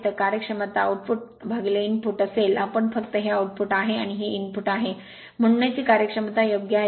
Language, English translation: Marathi, So, efficiency will be output by input we just this is output and this is your input, so it is 0927 efficiency right